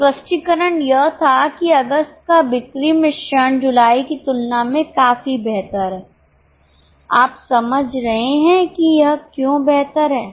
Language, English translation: Hindi, The explanation was that the sales mix of August is much better than that of July